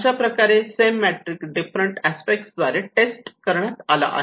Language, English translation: Marathi, So, like that the same matrix has been tested in different aspects